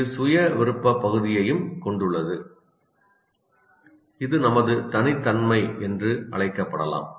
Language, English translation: Tamil, It also contains our so called self will area which may be called as our personality